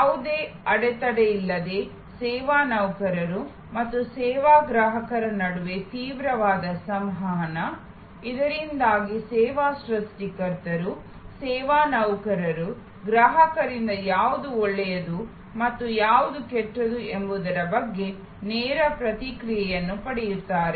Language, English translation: Kannada, Intensive communication between service employees and service consumers without any barrier, so that the service creators, the service employees get a direct feedback from the customers about, what is good and what is bad